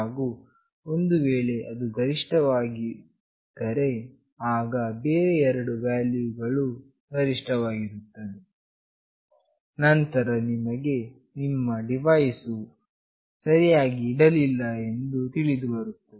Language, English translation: Kannada, And if it is not the highest, then the other two values are highest, then you know that your device is not properly placed